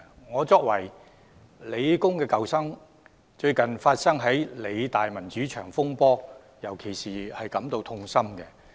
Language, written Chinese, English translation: Cantonese, 我作為香港理工大學的舊生，對於該大學最近發生的民主牆風波尤感痛心。, Being an alumnus of The Hong Kong Polytechnic University PolyU I am particularly sad to see the recent controversy over the democracy wall of PolyU